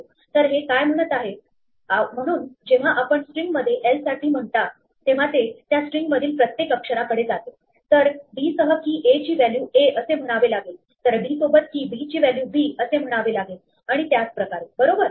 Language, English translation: Marathi, So, what it is this saying, so when you say for l in a string it goes to each letter in that string, so want to say d with key a is the value a, d with the key b is the value b and so on right